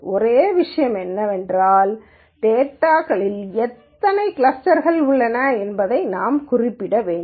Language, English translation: Tamil, The only thing is we have to specify how many clusters that are there in the data